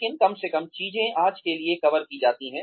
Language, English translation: Hindi, But at least, things are covered for today